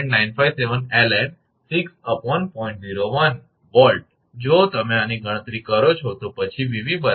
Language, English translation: Gujarati, 01, if you compute this one, then Vv will be 140